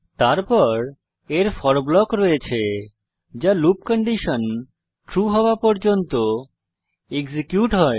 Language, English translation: Bengali, Then it has the for block which keeps on executing till the loop condition is true